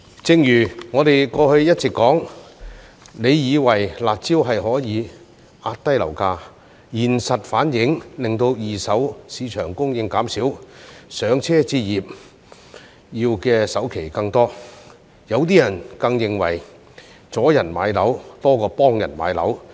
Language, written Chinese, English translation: Cantonese, 正如我們過去一直提到，政府以為出"辣招"可以壓低樓價，現實反而令到二手市場供應減少，"上車"置業要的首期更多，有些人更認為阻人買樓多過幫人買樓。, Rightly as we have kept pointing out the Government thought that the curb measures could suppress property prices but the reality is that they have reduced supply in the second - hand property market rendering a higher down payment required for purchase of first properties . Some people even think that such measures hinder rather than assist people in purchasing properties